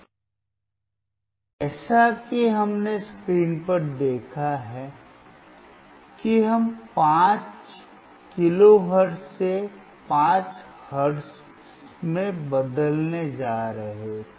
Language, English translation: Hindi, Now, as we have seen on the screen that we were going to change from 5 kilohertz to 50 hertz